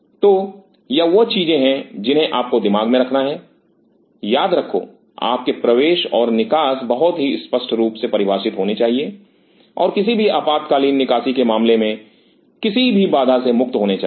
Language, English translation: Hindi, So, these are the things which you have to keep in mind, keep in mind your entry and exit should be very clearly defined and free from any obstruction in case of any emergency evacuation